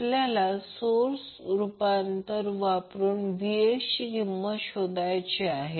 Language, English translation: Marathi, we need to find out the value of Vx using source transformation